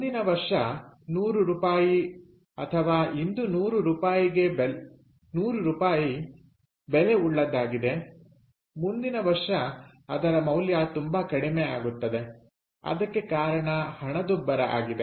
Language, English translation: Kannada, so hundred rupees next year, or rather hundred rupees today, is worth much less next year, because there is something called inflation